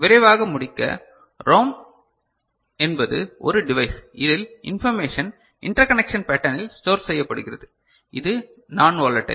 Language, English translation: Tamil, Quickly to conclude ROM is a device where information is stored in the form of interconnection pattern which is non volatile